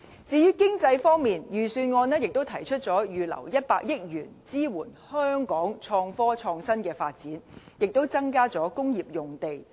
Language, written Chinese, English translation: Cantonese, 至於經濟方面，預算案也提出預留100億元，支援香港創科、創新的發展，並增加工業用地。, Concerning the economy the Budget has proposed reserving 10 billion for promoting the development of Innovation and Technology as well as increasing the supply of industrial land